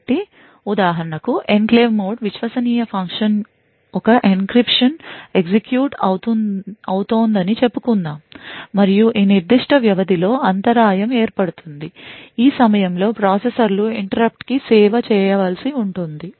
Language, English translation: Telugu, So, for example let us say that the enclave mode trusted function let say an encryption is executing and during this particular period an interrupt occurs during this time the processors would require to service the interrupt